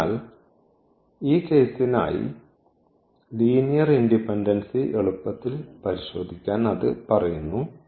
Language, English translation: Malayalam, So, that says easy check for the linear independency in for this case